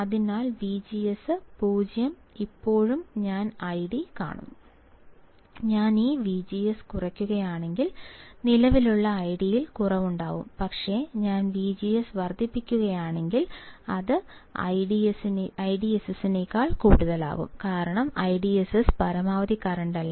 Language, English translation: Malayalam, So, V G S equals to 0 still I see some current I D and if I decrease this V G S then, I will see a decrease in the current I D, but if I increase the V G S then it can be more than I DSS because I DSS is not the maximum current